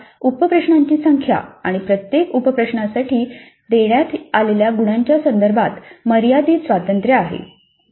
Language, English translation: Marathi, Practically it's arbitrary, the instructor has unrestricted freedom with respect to the number of sub questions and the marks allocated to each sub question